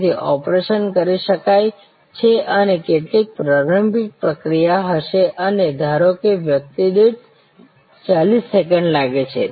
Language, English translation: Gujarati, So, that the operation can be performed and some preparatory procedure will be there and that suppose takes 40 seconds per person